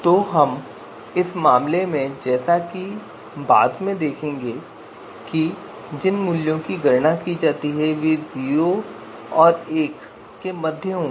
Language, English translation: Hindi, So in this case because you know later on as we will see that the you know values that we compute is you know actually they are going to lie between zero and one